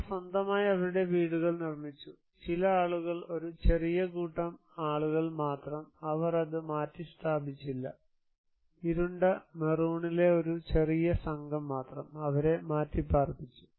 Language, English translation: Malayalam, They developed their; build their own house in their own, some people only a minor group of people, they did not relocate it, only a minor group in dark maroon, they were relocated